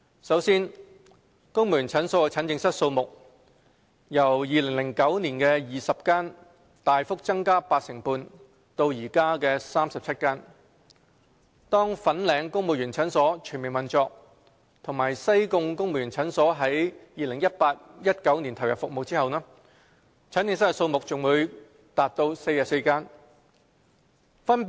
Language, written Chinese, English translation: Cantonese, 首先，公務員診所的診症室數目由2009年的20間大幅增加八成半至現時的37間；當粉嶺公務員診所全面運作和西貢公務員診所在 2018-2019 年度投入服務後，診症室數目將達44間。, Firstly the number of consultation rooms in Families Clinics has been drastically increased by 85 % from 20 in 2009 to 37 at present . Upon the full operation of the Fanling Families Clinic and the commissioning of the Sai Kung Families Clinic in 2018 - 2019 the number of consultation rooms will reach 44